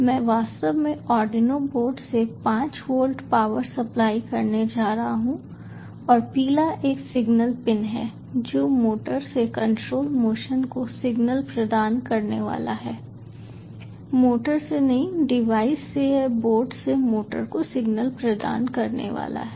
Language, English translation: Hindi, i am actually going to provide five volt power supply from the arduino board and the yellow one is the signal pin which is going to provide the signal for control motion to the motor, not from the motor to the device